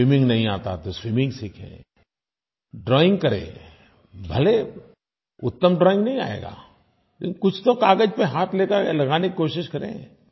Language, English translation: Hindi, If you don't know how to swim, then learn swimming, try doing some drawing, even if you do not end up making the best drawing, try to practice putting hand to the paper